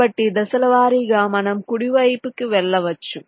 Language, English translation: Telugu, so step by step you can go right